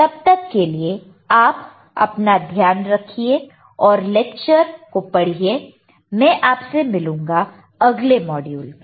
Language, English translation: Hindi, Till then you take care and just look at the lecture I will see you in the next module bye